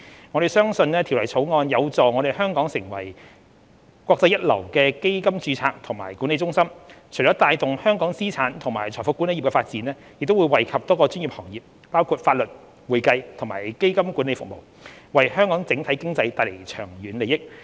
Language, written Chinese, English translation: Cantonese, 我們相信《條例草案》有助香港成為國際一流的基金註冊及管理中心，除了帶動香港資產及財富管理業的發展，亦會惠及多個專業行業，包括法律、會計和基金管理服務，為香港整體經濟帶來長遠利益。, We believe that the Bill will enable Hong Kong to develop into a world - class fund registration and management centre which will not only spur the development of Hong Kongs asset and wealth management industry but also benefit a number of professional sectors including legal accounting and fund management services . This will bring long - term benefits to the Hong Kong economy as a whole